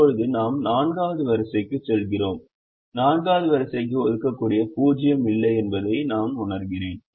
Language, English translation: Tamil, now i and i go to the fourth row and i realize that there is no assignable zero for the fourth row